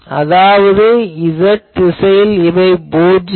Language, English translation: Tamil, So, n in this case is z directed